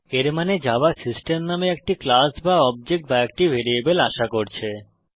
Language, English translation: Bengali, This means, Java is expecting a class or object or a variable by the name system